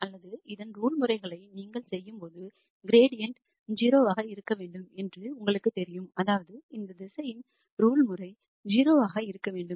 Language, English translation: Tamil, Or when you do the norm of this you know ultimately at the optimum value you know the gradient has to be 0, that means, the norm of this vector has to be 0